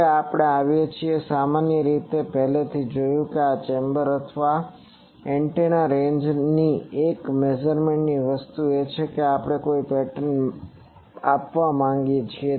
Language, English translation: Gujarati, Now, we come that generally we have already seen that one of the measurement things in these chambers or antenna ranges is the first thing is we want to have a pattern measurement